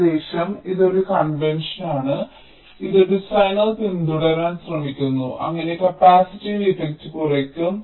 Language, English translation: Malayalam, this is a convention which the designer tries to follow so that the capacitive effect is minimized